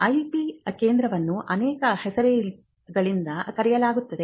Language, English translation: Kannada, Now, the IP centre is known by many names